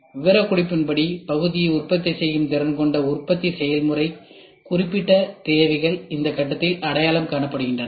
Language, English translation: Tamil, The manufacturing process capable of producing the part according to the specification, specified are requirements are identified in this phase